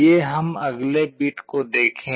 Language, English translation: Hindi, Let us look at the next bit